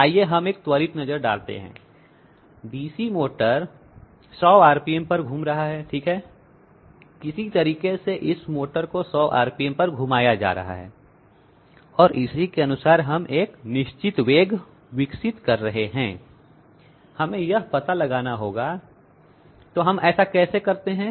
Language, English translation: Hindi, Let us have a quick look, DC motor rotates at 100 rpm okay by some means were making this motor rotate at 100 rpm and corresponding to this we are developing a definite velocity, we have to find that out, so how do we do that